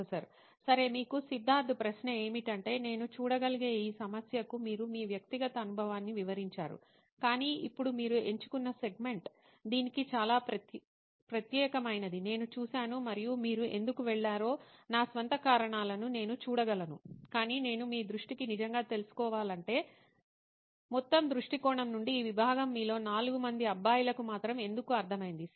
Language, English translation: Telugu, Okay, So Siddharth question to you is, you have mapped your personal experience to this problem I can see but, now I see that the segment that you have picked is very specific to this and I can see my own reasons why you went but I really want to know it from you guys is to why from overall vision perspective, why this segment and why it makes sense for you guys 4 of you